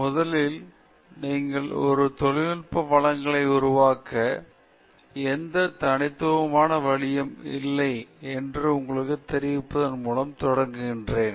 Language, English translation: Tamil, So, I will begin, first, by telling you that there is no specific single way in which you make a technical presentation